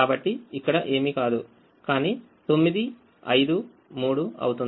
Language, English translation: Telugu, so this one is nothing but nine minus five minus three